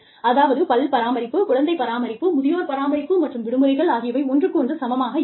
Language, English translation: Tamil, So, dental care, and child care, and elderly care, and vacations, may not be at par, with each other